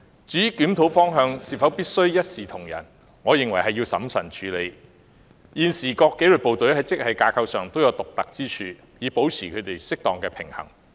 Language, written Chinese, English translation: Cantonese, 至於檢討方向是否必須一視同仁，我認為須審慎處理，現時各紀律部隊在職系架構上均各有獨特之處，以保持紀律部隊之間的適當平衡。, As to whether the review must point in the direction of offering equal treatment for all grades I opine that it should be handled prudently as the existing systems of respective disciplined services have their own unique features so that an appropriate balance among the disciplined services can be maintained